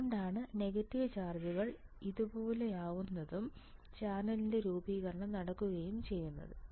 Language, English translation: Malayalam, So, it is why negative charges would be like here and formation of channel would be there formation of channel would be there ok